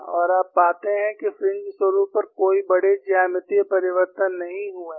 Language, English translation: Hindi, And you find there are no major geometrical changes on the fringe patterns